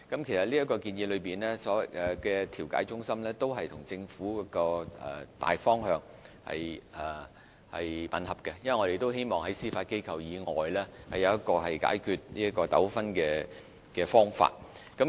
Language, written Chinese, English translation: Cantonese, 這項建議提到的調解中心與政府政策的大方向吻合，我們也希望在司法機構以外有解決糾紛的方法。, The mediation centre as mentioned in this recommendation dovetails with the Governments general policy direction as we also hope to explore means to resolve disputes other than settling such disputes through judicial means